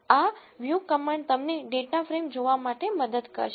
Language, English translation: Gujarati, This view command helps you to see the data frames